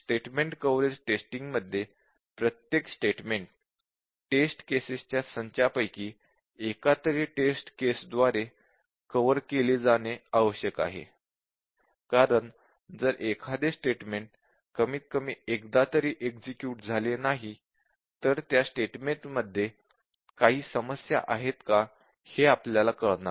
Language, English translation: Marathi, The idea here in the statement coverage testing is that every statement needs to be covered by the set of test cases, because unless a statement is executed at least once you do not know if there is a problem existing in that statement, so that is the main idea here